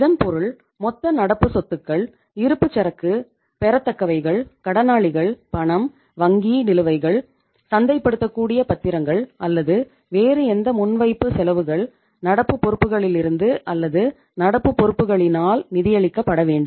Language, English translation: Tamil, It means the total current assets, inventory, receivables, debtors, cash, bank balances, marketable securities or any other prepaid expenses, any other current assets first they have to be financed from or by current liabilities